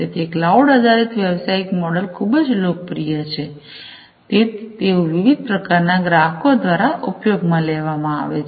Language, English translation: Gujarati, So, cloud based business models are already very popular, they are used by different types of customer bases